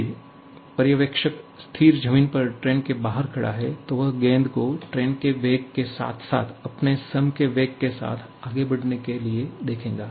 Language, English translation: Hindi, However, if the observer is standing outside the train somewhere, on the stable ground, then he will be seeing the ball to move with the velocity of the train plus its own velocity with which it is going to move